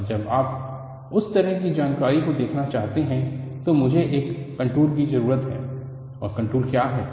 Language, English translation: Hindi, And when you want to look at that kind of an information,I need do go for plotting a contour, and what is the contour